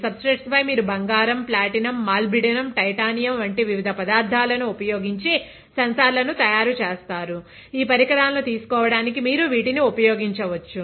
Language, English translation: Telugu, On the substrates you make the sensors using different materials, like gold, platinum, molybdenum, titanium lot of materials are there which you can use to take these devices